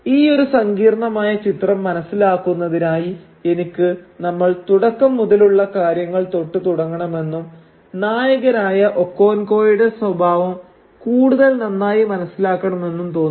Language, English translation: Malayalam, Now to understand this complex picture I think we should start at the very beginning and try and understand the character of the protagonist Okonkwo better